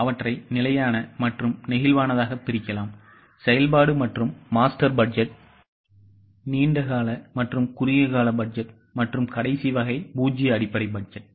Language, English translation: Tamil, It can be segregated as fixed versus flexible, functional versus master, long term versus short term and the last type is zero base budget